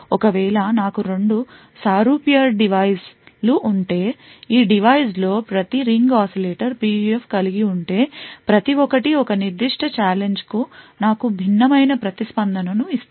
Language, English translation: Telugu, If I have two exactly identical devices, each of these devices having a Ring Oscillator PUF, each would give me a different response for a particular challenge